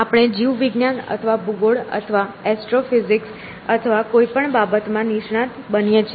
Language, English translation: Gujarati, So, we become a specialist in biology or geography or aestrophysics or anything